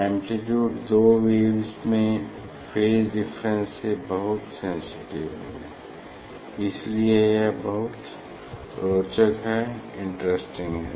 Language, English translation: Hindi, amplitude is very sensitive to the phase difference of the two waves, so this the very interesting part